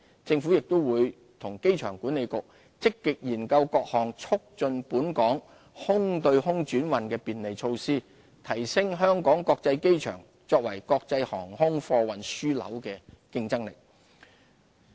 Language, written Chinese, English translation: Cantonese, 政府亦會與機管局積極研究各項促進本港空對空轉運的便利措施，提升香港國際機場作為國際航空貨運樞紐的競爭力。, The Government and AA will actively examine facilitation measures to promote air - to - air trans - shipment in Hong Kong with a view to enhancing HKIAs competitive edge as an international air cargo hub